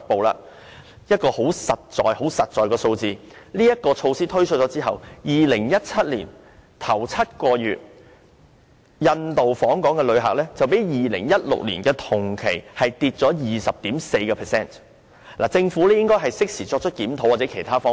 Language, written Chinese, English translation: Cantonese, 有一個很實在的數字，就是在措施推出後 ，2017 年首7個月的印度訪港旅客較2016年的同期下跌了 20.4%， 政府應該適時作出檢討或考慮其他方法。, The following figure is a practical pointer . After the implementation of this measure the number of Indian visitors to Hong Kong in the first seven months of 2017 has dropped by 20.4 % over the same period in 2016 . The Government should conduct a review or consider other approaches in a timely manner